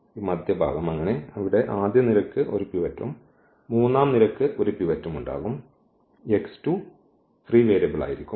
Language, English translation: Malayalam, And this middle one so, here the first column will have a pivot and the third column has a pivot and this x 2 is going to be the free variable